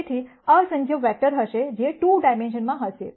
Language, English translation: Gujarati, So, there will be infinite number of vectors, which will be in 2 dimensions